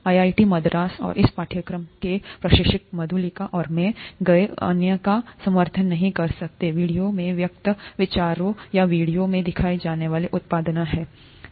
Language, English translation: Hindi, IIT Madras and the instructors of this course, both Madhulika and I, may not endorse the other views that are expressed in the video or the products that are featured in the videos